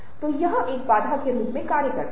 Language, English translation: Hindi, so it's acts as a barrier